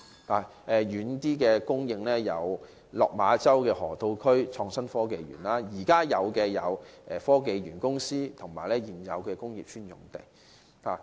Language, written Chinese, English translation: Cantonese, 例如，較遠的供應有落馬洲河套地區港深創新及科技園，較近的有香港科技園及現有的工業邨用地。, For example a more distant site is the Hong Kong - Shenzhen Innovation and Technology Park in the Lok Ma Chau Loop while closer sites include the Hong Kong Science and Technology Parks and the existing Industrial Estate sites